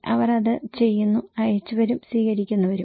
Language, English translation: Malayalam, They are doing it, senders and the receivers